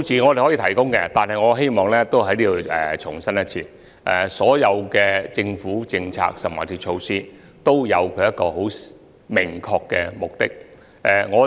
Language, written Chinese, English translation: Cantonese, 我可以提供數字，但我希望在此重申，所有政府政策或措施均有其明確目的。, I can provide the sums concerned . But I wish to reiterate here that all government policies or measures are marked by their distinctive objectives